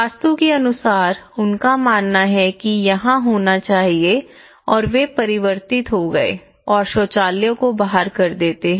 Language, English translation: Hindi, Okay, because according to Vastu, they believe that this should be here and they converted then they push the toilet outside